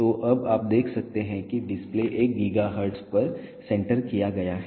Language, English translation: Hindi, So, now, you can see that the display has been centered to 1 gigahertz